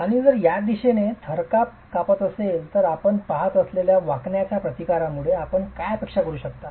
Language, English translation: Marathi, And if there is shaking in this direction, what would you expect given the bending resistances that you see